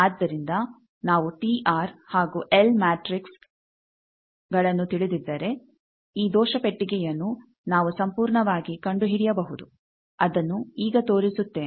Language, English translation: Kannada, So, if we know the T R and L matrix then we can find this error box completely that will show now